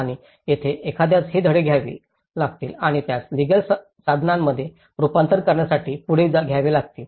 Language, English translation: Marathi, And this is where one has to take these lessons and take it further to make it into a legal instruments